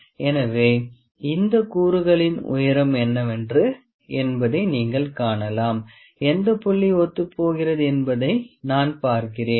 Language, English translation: Tamil, So, you can see that the height of this component is let me see which is a coinciding point